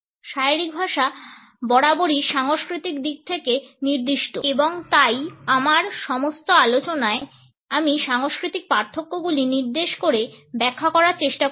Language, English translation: Bengali, Body language as always cultural specific and therefore, in all my discussions I have tried to point out the cultural differences in the interpretations